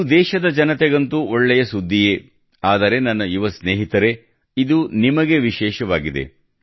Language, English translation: Kannada, This good news is not only for the countrymen, but it is special for you, my young friends